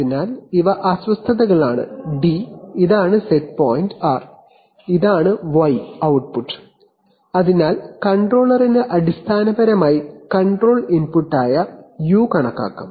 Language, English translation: Malayalam, So these are disturbances d, this is the set point r, and this is the output y, so the controller basically can calculate this u which is the control input